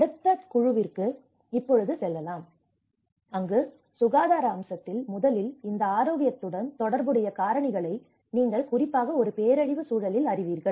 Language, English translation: Tamil, And we go to the next group where on the health aspect, first of all, what are the root causes of these you know the factors that are associated with this health especially in a disaster context